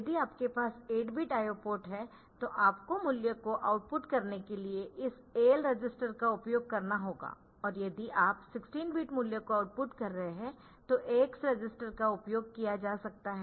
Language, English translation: Hindi, So, if you are having 8 bit I O ports then you have to use this AL or AL register for outputting the value and if you are outputting a 16 bit value then the AX register can be used